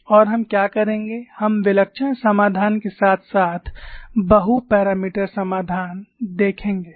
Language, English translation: Hindi, And what we will do is we will see the singular solution as well as multi parameter solution